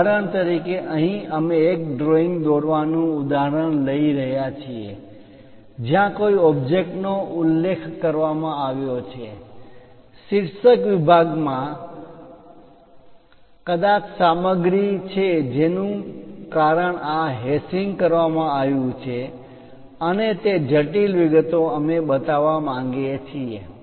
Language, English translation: Gujarati, For example, here we are taking a drawing an example drawing sheet where an object is mentioned, the title block perhaps material is present there that is the reason this hashing is done and the intricate details we would like to show